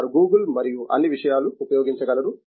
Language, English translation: Telugu, They can use only Google and all those things